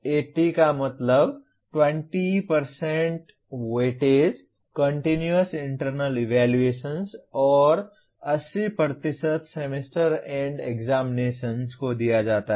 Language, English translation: Hindi, 20:80 means 20% weightage is given to Continuous Internal Evaluation and 80% to Semester End Examination